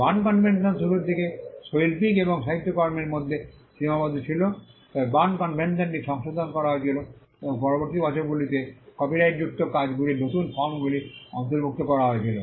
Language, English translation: Bengali, The Berne convention just limited to artistic and literary work initially, but the Berne convention was amended, and new forms of copyrighted works were included in the subsequent years